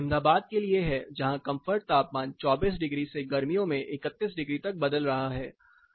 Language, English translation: Hindi, So, this is for Ahmadabad where you find the comfort temperature, varies somewhere from 24 degrees and it can go as high as 31 degrees during summer